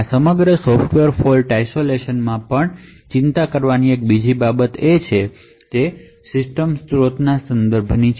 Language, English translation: Gujarati, So there is another thing to a worry about in this entire Software Fault Isolation and that is with respect to system resources